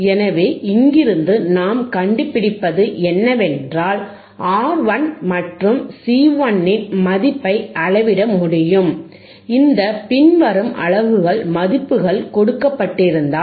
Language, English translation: Tamil, So, from here what we find is that we can measure the value of R 11, and we can measure the value of R and C 1, ggiven this following this following units values, alright